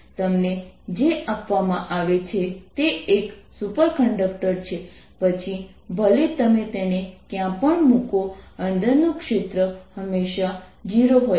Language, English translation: Gujarati, what you're given is that a superconductor, no matter where you put it, the field inside is always zero